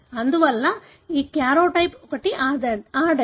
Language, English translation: Telugu, Therefore, this karyotype is that of a female